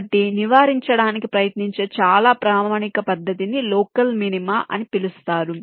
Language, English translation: Telugu, so this is a very standard method of trying to avoid something called local minima